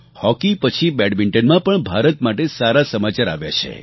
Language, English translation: Gujarati, After hockey, good news for India also came in badminton